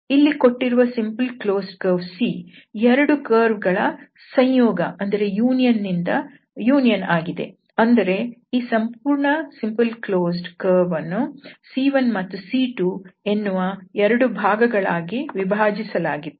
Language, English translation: Kannada, Now, this curve C the given close simple close curve C is the union of the 2 because this the entire smooth close curve was divided into 2 portions, one was C 1, the other one was C 2